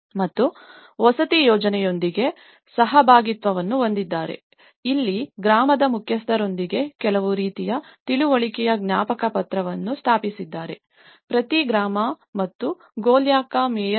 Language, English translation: Kannada, And they have partnership with the housing scheme and here, that they have established certain kind of memorandum of understanding with the head of the village; each village and also by the mayor of Golyaka